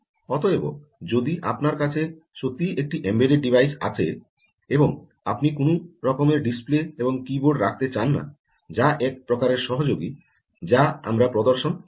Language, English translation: Bengali, so if you are having really an embedded device and you dont want to have um, any display and keyboard, that is one type of association which we will, what we will demonstrate